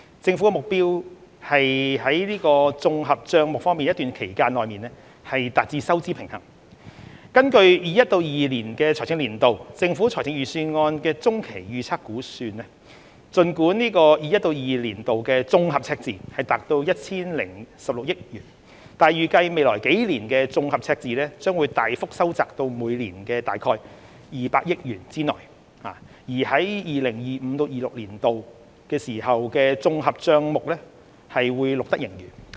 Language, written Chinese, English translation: Cantonese, 政府的目標是綜合帳目在一段期間內達致收支平衡，根據 2021-2022 財政年度政府財政預算案的中期預測估計，儘管 2021-2022 年度的綜合赤字達 1,016 億元，但預計未來數年的綜合赤字將大幅收窄至每年在200億元之內，至 2025-2026 年度時綜合帳目將錄得盈餘。, The Governments objective is to achieve fiscal balance in the Consolidated Account over time . According to the Medium Range Forecast in the 2021 - 2022 Budget while the fiscal deficit for 2021 - 2022 would reach 101.6 billion it is estimated that the fiscal deficit in the coming years will be substantially narrowed to within 20 billion annually and a fiscal surplus will be recorded in 2025 - 2026